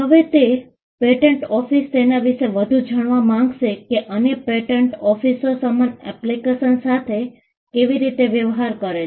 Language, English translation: Gujarati, Now this is more like, the patent office would like to know how other patent officers are dealing with the same application